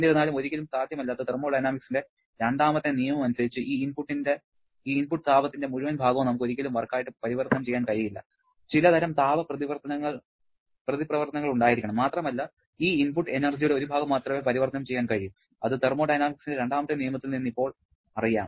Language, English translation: Malayalam, However, as per the second law of thermodynamics that is never possible, we can never convert entire part of this input heat to work rather there has to be some kind of heat reaction and only a part of this input energy can be converted to work output which we know now from the second law of thermodynamics